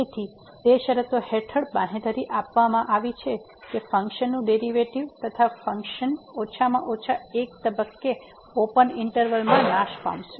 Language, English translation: Gujarati, So, under those conditions it is guaranteed that the function will derivative of the function will vanish at least at one point in the open interval (a, b)